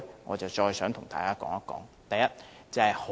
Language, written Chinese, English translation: Cantonese, 我想和大家談談這一點。, I would like to discuss this with Members